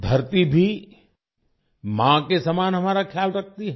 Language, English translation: Hindi, The Earth also takes care of us like a mother